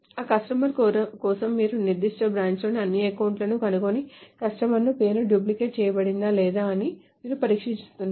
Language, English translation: Telugu, So essentially you are testing whether for that customers you find out all the accounts in that particular branch and say if the customer name is duplicated or not